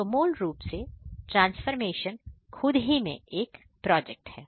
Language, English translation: Hindi, So, the transformation itself is a project